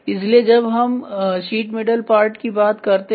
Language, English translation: Hindi, So, when we talk about a sheet metal part ok